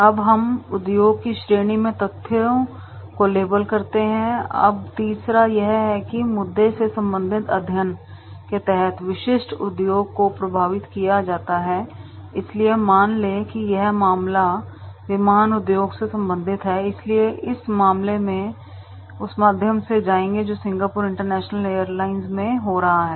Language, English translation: Hindi, Now we label the facts in the industry category, now the third is this pertains to any issue that affect the specific industry under study so suppose the case is related like this is aviation industry so then in that case we will go through that is the what is happening in to the Singapore International Airlines